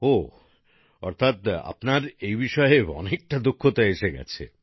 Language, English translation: Bengali, Oh… that means you have mastered it a lot